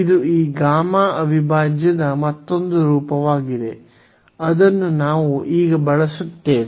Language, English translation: Kannada, So, this is another form of this gamma integral which we will use now